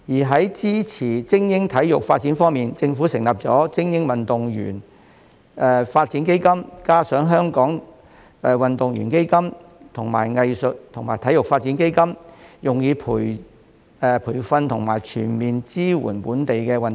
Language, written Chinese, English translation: Cantonese, 在支持精英體育發展方面，政府成立了精英運動員發展基金，加上香港運動員基金和藝術及體育發展基金，用以培訓和全面支援本地運動員。, Regarding the support for the development of elite sports in addition to the Hong Kong Athletes Fund and the Arts and Sport Development Fund the Government has set up the Elite Athletes Development Fund for providing training and comprehensive support for local athletes